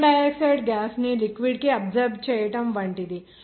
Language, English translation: Telugu, Like absorption of carbon dioxide gas to the liquid